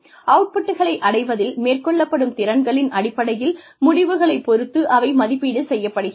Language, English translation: Tamil, And, they are assessed, in terms of outcomes, based on competencies, demonstrated in achieving the outputs